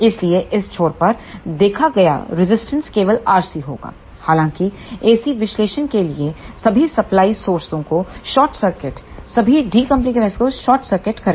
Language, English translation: Hindi, So, the impedance seen at this end will be only R C however, in case of AC analysis we short circuit all the supply sources and short circuit all the decoupling capacitors